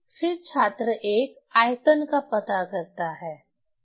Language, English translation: Hindi, So, then student one find the volume, right